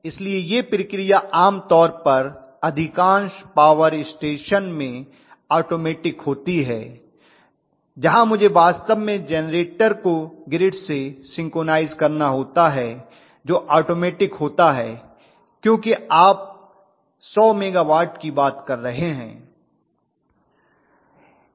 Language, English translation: Hindi, So this process generally is automated in most of the power stations, where I have to synchronise actually the generator to the grid that is automated because you are talking about 100s of megawatt